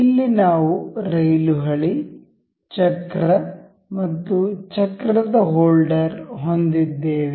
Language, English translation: Kannada, Here, we have a rail track, a wheel and a wheel holder